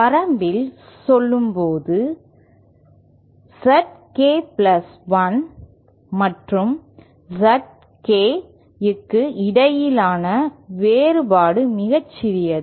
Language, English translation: Tamil, In the limit when say the difference between ZK plus1 and ZK is differential or very small